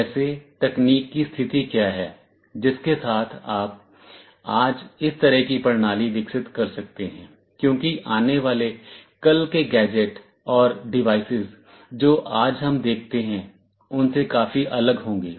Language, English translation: Hindi, Like, what is the state of technology with which you can develop such a system today, because tomorrow’s gadgets and devices will be quite different from what we see today